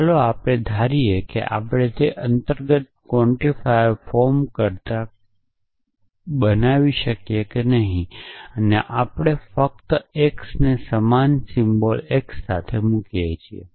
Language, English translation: Gujarati, So, let us assume that we can do that than in the implicit quantifier form, we simply place it with x souse the same symbol x